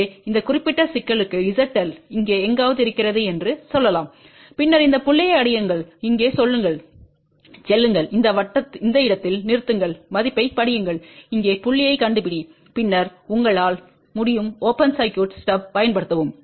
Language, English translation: Tamil, So, for this particular problem where let us say Z L is somewhere here, then these two this point move over here, stop at this point read the value locate the point over here and then you can use open circuit stub